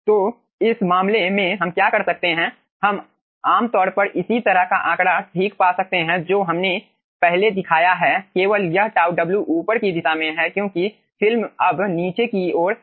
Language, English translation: Hindi, so in this case what we can do, we can aah typically find out similar figure, okay, whatever we have shown in the last 1 only thing that this tau w is in the upward direction because the film is now falling down